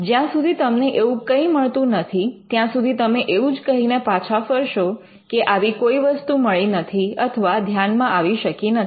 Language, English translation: Gujarati, Unless you find it, you will only return by saying that such a thing could not be found